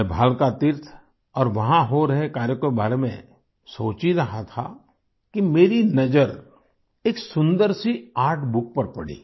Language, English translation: Hindi, I was thinking of Bhalaka Teerth and the works going on there when I noticed a beautiful artbook